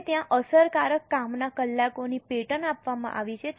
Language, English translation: Gujarati, Now, they have given the pattern of effective working hours